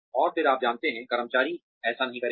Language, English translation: Hindi, And again, you know, the employees will not like that